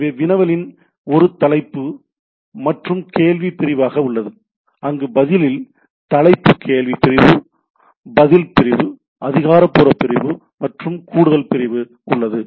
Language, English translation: Tamil, So, the query as a header and question section where as the response is having a header question section, answer section, authoritative section and additional section